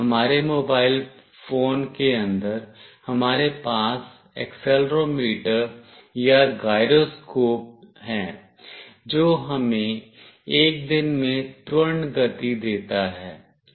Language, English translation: Hindi, Inside our mobile phone, we have an accelerometer or a gyroscope, which gives us the acceleration movement that we make in a day